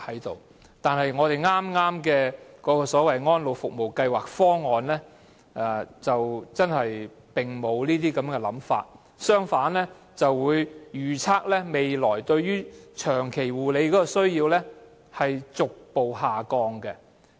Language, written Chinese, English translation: Cantonese, 不過，剛才提及的《安老服務計劃方案》卻沒有這樣的想法，當中反而預測本港未來對長期護理的需要會逐步下降。, However the Elderly Service Programme Plan mentioned earlier does not include this idea . On the contrary according to the projection in the Plan the demand for long - term care in Hong Kong will drop gradually